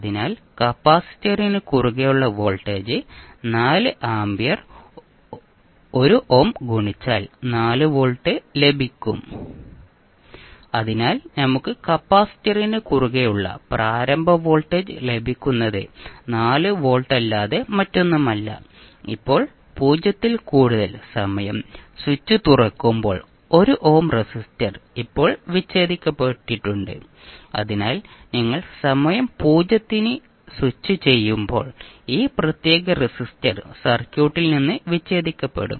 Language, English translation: Malayalam, So the voltage across the capacitor will be 1 ohm multiply by 4 ampere that is 4 volt, so we get the initial voltage across capacitor is nothing but 4 volt, now when time t greater than 0 the switch is open that means the 1 ohm resistor is now disconnected so when you the switch at time t is equal to 0 this particular resistor will be disconnected from the circuit